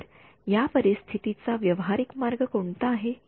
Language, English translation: Marathi, So, what is the practical way around this situation